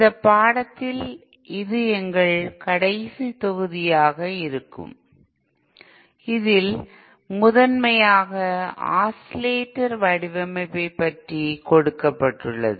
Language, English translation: Tamil, this will be our last module in this course it will primarily deal with Oscillator design